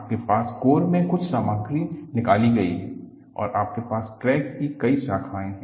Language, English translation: Hindi, You have some material removed in the core and you have several branches of crack